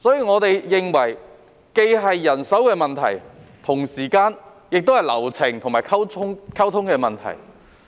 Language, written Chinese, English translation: Cantonese, 我們認為這既是人手的問題，同時亦是流程和溝通的問題。, In our view this has something to do with manpower and also process and communication